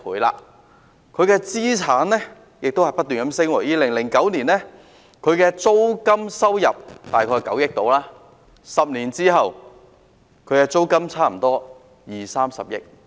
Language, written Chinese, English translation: Cantonese, 領展的資產亦不斷增加 ，2009 年租金收入大概為9億元 ，10 年後則差不多有二三十億元。, The assets held by Link REIT have also increased continuously with its rental income soaring from about 900 million in 2009 to almost 2 billion to 3 billion after a decade